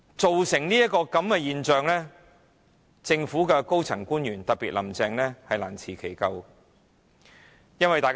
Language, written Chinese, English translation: Cantonese, 造成這個局面，政府的高層官員，特別是"林鄭"難辭其咎。, In view of this situation the senior government officials Carrie LAM in particular should take the blame